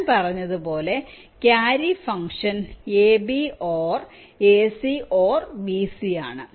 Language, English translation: Malayalam, so i said the carry function is a, b or a, c or b c